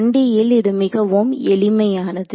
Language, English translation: Tamil, In 1D, it looks very simple